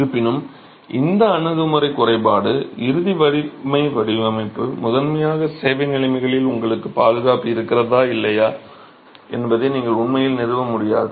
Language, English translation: Tamil, However, the drawback of this approach, the ultimate strength design was primarily the fact that at service conditions you are really not able to establish whether you have safety or not